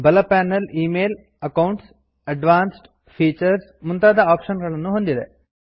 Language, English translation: Kannada, The right panel consists of options for Email, Accounts, Advanced Features and so on